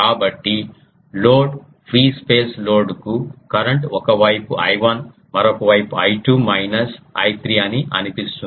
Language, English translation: Telugu, So, to the ah load that is a free space load it looks that the current one side is I 1 another side is I 2 minus I 3